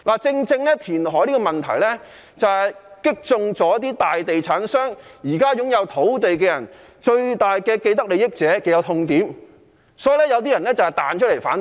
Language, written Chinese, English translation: Cantonese, 正正因為填海這個問題，擊中大地產商、現時擁有土地的最大既得利益者的痛點，所以有些人彈出來反對。, Since reclamation strikes rightly at the pain point of those with the greatest vested interests like major estate developers and land owners some people stand out and speak against it